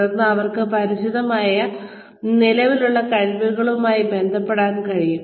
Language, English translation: Malayalam, Then, they can relate to the existing skills, that they are familiar with